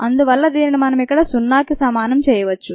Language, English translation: Telugu, that's not happening here and therefore this can be put as equal to zero